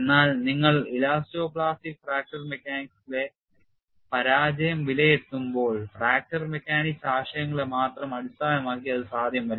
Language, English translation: Malayalam, We say that we want to do fracture mechanics analysis, but when you come to failure assessment in elasto plastic fracture mechanics, it cannot be based on fracture mechanics concepts alone